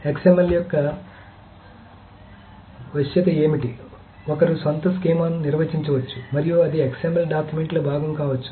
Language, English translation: Telugu, The flexibility of XML is that one can define the own schema and that can be part of the XML document